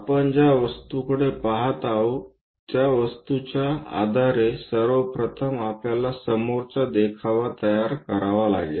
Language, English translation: Marathi, Based on the object where we are looking at first of all, one has to construct a frontal view